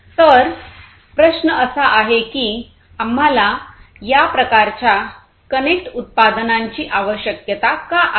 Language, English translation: Marathi, So, the question is that why do we need this kind of connected products, what is so good about it